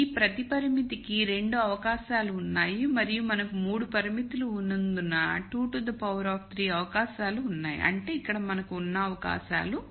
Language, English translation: Telugu, So, there are 2 possibilities for each of these constraints and since we have 3 constraints there are 2 to the power 3 possibilities which equals the 8 possibil ities that we have here